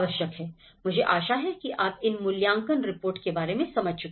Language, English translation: Hindi, I hope you understand about this assessment reports